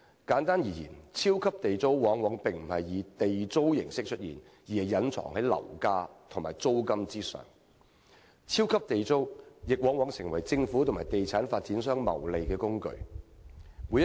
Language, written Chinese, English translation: Cantonese, 簡單而言，"超級地租"並非以地租形式出現，而是隱藏在樓價和租金之中；"超級地租"亦往往成為政府和地產發展商謀利的工具。, To put it simply super Government rent is not a Government rent per se but hidden in property prices and rents and it invariably becomes a tool of profiteering for the Government and property developers